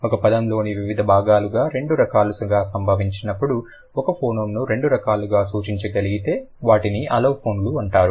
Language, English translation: Telugu, If one phoeneme can be represented in two different ways when they are occurred in different parts of different parts of a word then they would be known as allophones